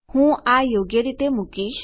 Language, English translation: Gujarati, I am going to do this